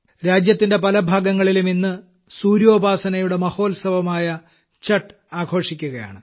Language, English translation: Malayalam, Today, 'Chhath', the great festival of sun worship is being celebrated in many parts of the country